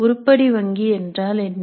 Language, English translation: Tamil, Now what is an item bank